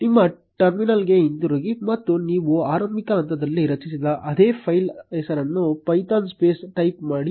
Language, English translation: Kannada, Go back to your terminal and type python space the same file name which you created in the earliest step